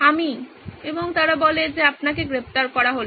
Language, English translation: Bengali, this is me and they say you are under arrest